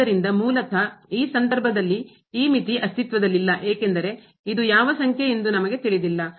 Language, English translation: Kannada, So, basically in this case this limit does not exist because we do not know what number is this